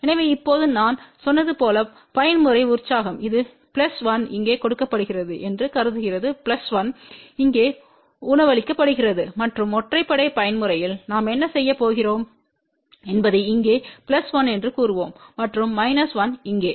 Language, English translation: Tamil, So, now, as I said even mode excitation its assuming that this is plus 1 fed here plus 1 fed here, and for odd mode excitation what we are going to do we will say plus 1 here and minus 1 over here